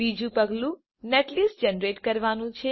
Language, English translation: Gujarati, Second step is to generate netlist